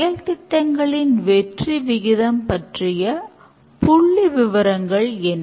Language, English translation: Tamil, What is the statistics about the success rate of the projects